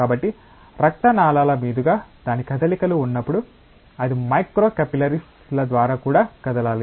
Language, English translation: Telugu, So, when its moves across the blood vessels, it has to also move through micro capillaries